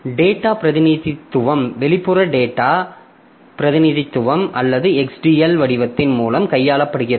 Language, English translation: Tamil, So data representation handled via external data representation or XDL format to account for different architectures